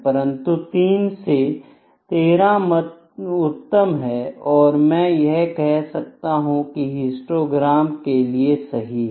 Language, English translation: Hindi, But, 3 to 13 is an ideal or I can say the best selection of the histogram as a graphic tool